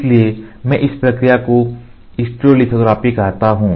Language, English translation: Hindi, So, I call this process as stereolithography